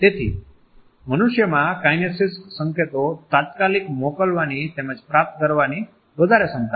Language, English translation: Gujarati, So, human beings have an immense capacity to send as well as to receive kinesic signals immediately